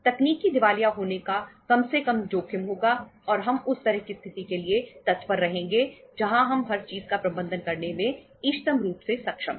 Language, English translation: Hindi, There will be a least risk of technical insolvency and we should look forward for that kind of situation where we are optimally able to manage everything